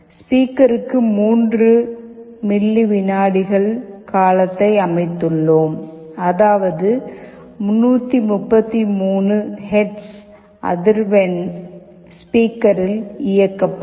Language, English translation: Tamil, And for speaker we have set a period of 3 milliseconds that means 333 hertz of frequency will be played on the speaker